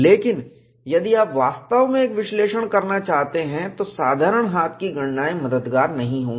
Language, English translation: Hindi, But if you really want to do an analysis, simple hand calculation would not help